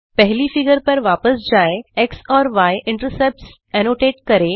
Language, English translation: Hindi, Switch back to the first figure,annotate the x and y intercepts